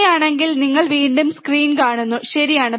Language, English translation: Malayalam, So, if you see the screen once again, right